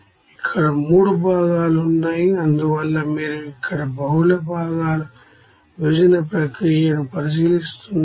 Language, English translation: Telugu, Here 3 components are there that is why you are considering that here multi component separation process